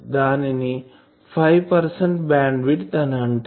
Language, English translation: Telugu, So, people say 5 percent bandwidth